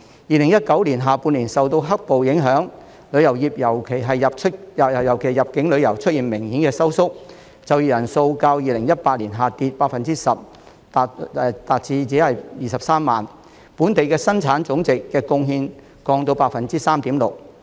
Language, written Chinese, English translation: Cantonese, 2019年下半年受到"黑暴"影響，旅遊業尤其是入境旅遊出現明顯收縮，就業人數較2018年下跌 10% 至23萬人，對本地生產總值的貢獻降至 3.6%。, In the second half of 2019 due to black - clad violence tourism especially inbound tourism contracted significantly with employment falling by 10 % from the figure in 2018 to 230 000 and its contribution to GDP dropping to 3.6 %